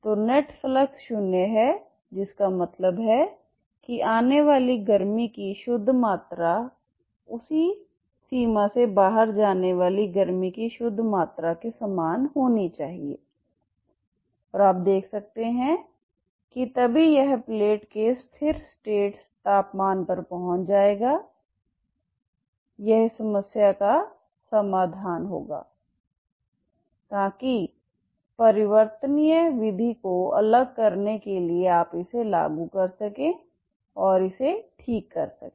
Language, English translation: Hindi, So the flux is, net flux is 0 that means whatever comes through that same boundary whatever heat comes in net amount of heat comes should be same as net amount of heat that goes out of the same boundary okay so this is how you can see that then only it will reach the steady state then the steady state temperature of the plate is the solution of this problem so as separation of variable method you can apply and get it like this okay